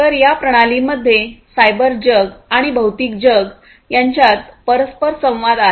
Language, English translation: Marathi, So, there is interaction between the cyber world and the physical world together in these systems